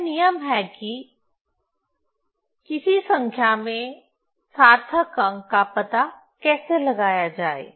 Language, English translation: Hindi, So, so this is the rule how to find out the significant figure of a number